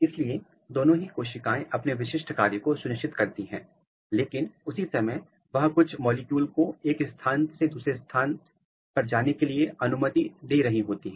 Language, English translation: Hindi, So, both the cells they are ensuring their specific identity, but at the same time they are allowing certain molecules to move from each other from one cell to another cell